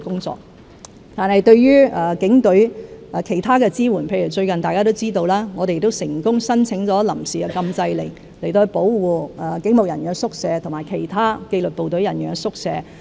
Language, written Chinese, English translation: Cantonese, 至於其他對警隊的支援，例如大家都知道，最近我們已成功申請臨時禁制令，保護警務人員宿舍和其他紀律部隊人員宿舍。, Other support provided to the Police Force include inter alia as Members may be aware we have successfully secured an interim injunction order to protect police quarters and other disciplined services quarters